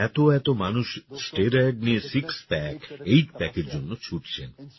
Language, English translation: Bengali, Nowadays, so many people take steroids and go for this six pack or eight pack